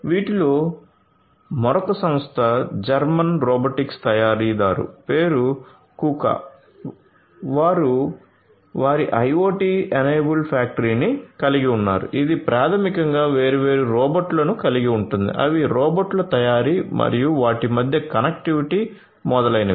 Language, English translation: Telugu, Another company of which is a germen robotics maker name is Kuka, they have their IoT enabled factory which basically caters to you know having different robots their manufacturing of the robots and their connectivity between them etcetera